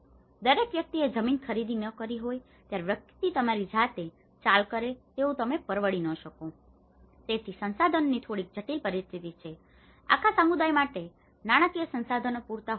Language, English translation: Gujarati, Everyone may not have procured the land, everyone may not have able to afford to make their own move you know, so there is a bit complex situation of the resources, the financial resources may not be sufficient, for the whole entire community